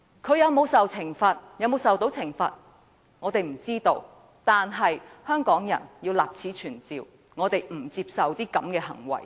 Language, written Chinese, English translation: Cantonese, 他會否受到懲罰，我們不知道，但我們要立此存照，香港人不接受他這類行為。, We have no idea whether he will be punished for that but we have to put it on record that the people of Hong Kong do not accept such behaviour of his